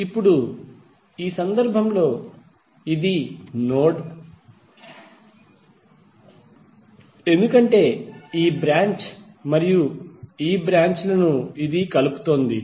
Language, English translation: Telugu, Now in this case this is the node because it is connecting this and this branch